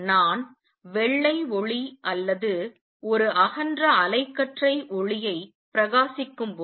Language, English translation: Tamil, When I am shining white light or a broad band light right